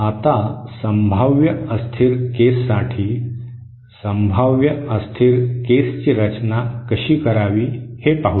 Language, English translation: Marathi, Now for potentially unstable case, Let us see how to design for potentially unstable case